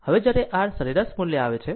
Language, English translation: Gujarati, Now, when you come to your rms value